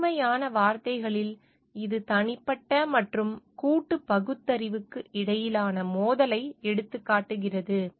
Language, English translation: Tamil, In simple words, it highlights the conflict between individual and collective rationality